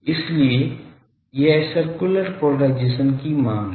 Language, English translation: Hindi, So, this is the demand for circular polarisation